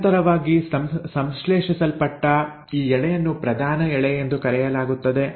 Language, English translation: Kannada, This strand which is continuously synthesised is called as the leading strand